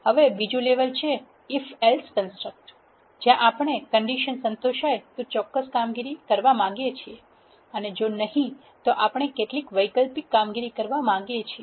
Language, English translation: Gujarati, The next level is if else construct, where we want to do certain operations if the condition is satisfied and if not, we want to do some alternate operations